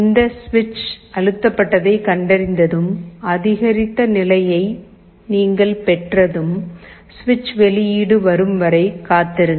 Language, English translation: Tamil, And after this switch press is detected and you have incremented state, you wait till the switch is released